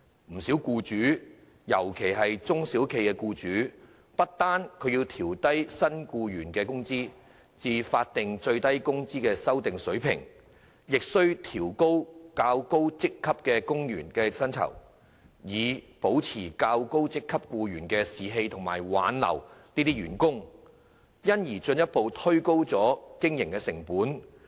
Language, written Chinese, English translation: Cantonese, 不少僱主，尤其是中小型企業的僱主，不單要調整低薪僱員的工資至經修訂的法定最低工資水平，亦須調高較高職級員工的薪酬，以保持較高職級僱員的士氣和挽留這些員工，因而進一步推高經營成本。, Many employers especially those of small and medium enterprises need to not only adjust the wages of low - paid employees to the revised SMW level but also increase the pay of employees at higher ranks in order to maintain staff morale of these employees and retain them thereby further adding to the operating cost